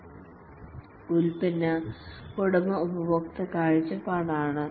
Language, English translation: Malayalam, The product owner has the customer perspective